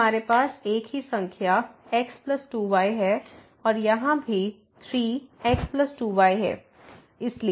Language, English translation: Hindi, So, we have the same number plus 2 and here also 3 times plus 2